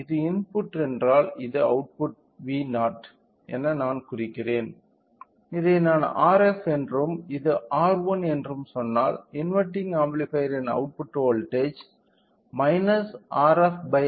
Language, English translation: Tamil, So, if this is input if this is output V naught I am representing and if I say this as R f and this is R 1 the gain the output voltage of the inverting amplifier is minus R f by R 1 into V in right